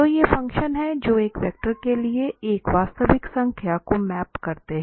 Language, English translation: Hindi, So, these are the functions that map a real number to a vector